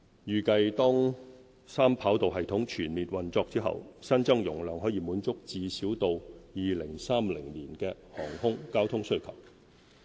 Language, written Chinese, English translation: Cantonese, 預計當三跑道系統全面運作後，新增容量可滿足最少到2030年的航空交通需求。, It is estimated that upon full commissioning of the Three - Runway System HKIA will have the capacity to handle air traffic demand at least up to 2030